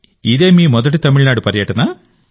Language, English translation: Telugu, Was it your first visit to Tamil Nadu